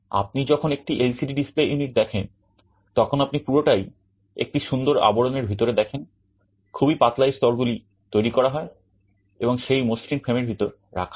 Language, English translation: Bengali, When you see an LCD display unit, you see everything in a nicely packaged case, very thin, all these layers are engineered and put inside that sleek frame